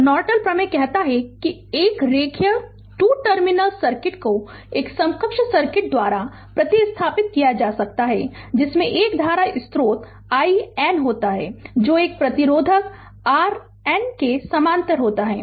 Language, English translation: Hindi, So, Norton theorem states that a linear 2 terminal circuit can be replaced by an equivalent circuits consisting of a current source i N in parallel with a resistor R n